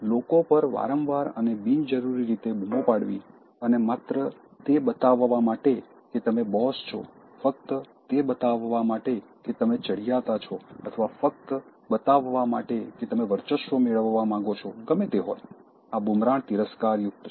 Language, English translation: Gujarati, So is shouting and shouting at people frequently and unnecessarily just to show that you are boss, just to show that you are superior or just to show that you want to dominate, whatever it is that, shouting is detested